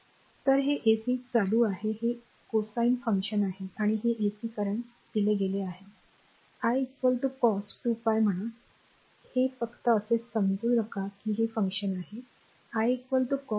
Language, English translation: Marathi, So, this is ac current this is a cosine function and this is your ac current it is given i is equal to say cosine 2 pi your 2 pi, t just hold on that this is the function, i is equal to cos 2 pi t right